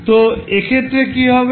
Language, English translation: Bengali, So, what will happen in this case